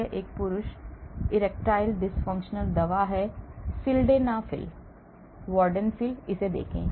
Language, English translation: Hindi, This is a male erectile dysfunction drug , sildenafil, vardenafil , look at this